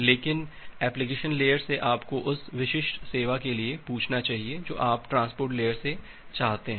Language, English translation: Hindi, But from the application layer you should ask for the specific service that you want from the transport layer